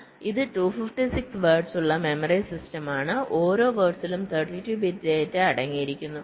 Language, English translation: Malayalam, so this is a memory system with two fifty six words and each word containing thirty two bits of data